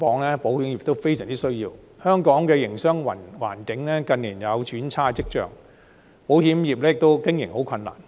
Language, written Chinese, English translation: Cantonese, 香港近年的營商環境有轉差跡象，保險業的經營很困難。, As the business environment in Hong Kong has shown signs of deterioration in recent years the insurance industry is struggling to stay afloat